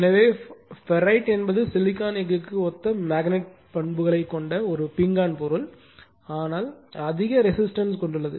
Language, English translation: Tamil, So, ferrite is a ceramic material having magnetic properties similar to silicon steel, but having high resistivity